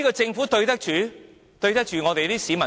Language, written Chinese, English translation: Cantonese, 政府這樣對得起全港市民嗎？, As such what good has the Government done to the people of Hong Kong?